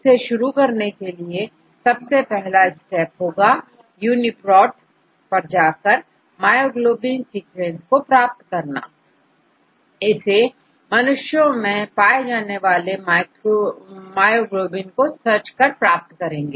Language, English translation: Hindi, To start let us proceed with the first step, let us go to UniProt and obtain our myoglobin sequence, let us search for human myoglobin